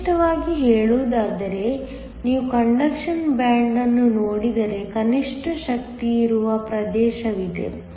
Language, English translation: Kannada, Specifically, if you looked at the conduction band there is a region where there is an energy minimum